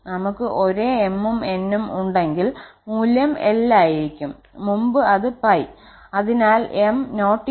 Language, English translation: Malayalam, And if have same m and n then the value will be l earlier it was pi